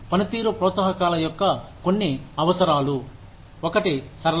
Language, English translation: Telugu, Some requirements of performance incentives are, one is simplicity